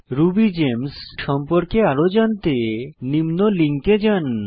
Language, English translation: Bengali, For more information on RubyGems visit the following link